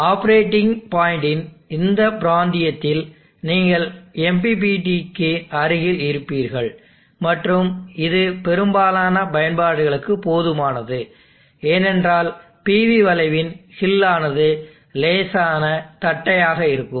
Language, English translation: Tamil, In this region of operating point you would be at near MPPT and that is sufficient for most of the applications, because of slight flatness in the hill of the power versus V curve